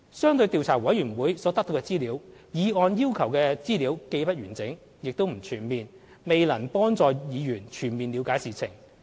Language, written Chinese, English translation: Cantonese, 相對調查委員會所得到的資料，議案要求的資料既不完整、也不全面，未必能幫助議員全面了解事情。, If we compare such information requested by the motion and the information to be obtained by the Commission the information requested by the motion is incomplete and incomprehensive thus it may not necessary help Members to understand the incident